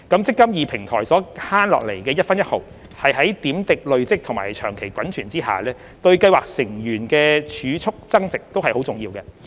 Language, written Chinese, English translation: Cantonese, "積金易"平台所減省下來的一分一毫在點滴累積及長期滾存下，對計劃成員的儲蓄增值均非常重要。, Every penny saved and accumulated over time under the eMPF Platform matters much to the savings growth of scheme members